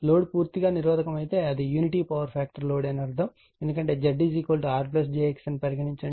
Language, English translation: Telugu, If load is purely resistive means it is unity power factor load, because Z is equal to say R plus j X